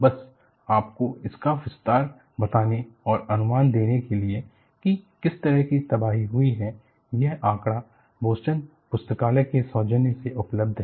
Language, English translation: Hindi, Just to give you a rough size and this also gives you, an idea of what is the kind of devastation that occurred and this figure, courtesy, is from Boston library